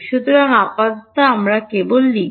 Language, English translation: Bengali, So, for now we will just write